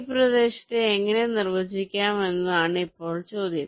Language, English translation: Malayalam, now the question is how to define this regions like